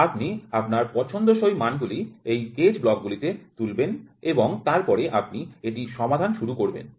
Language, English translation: Bengali, You make this gauge blocks pick up the values whatever you want and then you start solving it